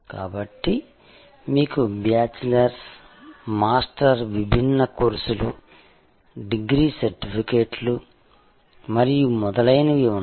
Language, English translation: Telugu, So, you had bachelors, master, different courses, degree certificates and so on